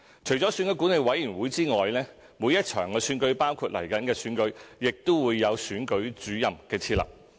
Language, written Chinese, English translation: Cantonese, 除了選舉管理委員會之外，每一場選舉——包括即將舉行的行政長官選舉——亦會設立選舉主任。, Apart from EAC there is a Returning Officer RO in every election including the upcoming Chief Executive Election